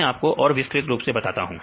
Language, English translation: Hindi, I will tell you more details